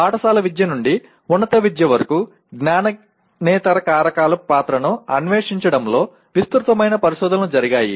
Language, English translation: Telugu, There is extensive research that was done in exploring the role of non cognitive factors from school education to higher education